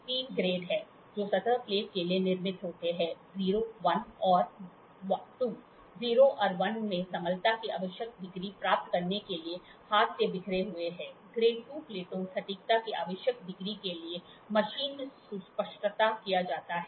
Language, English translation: Hindi, There are three grades which are manufactured for surface plate; 0, I and II; 0 and I are hand scraped to achieve the required degree of flatness; grade II plates are precision machined to the required degree of accuracy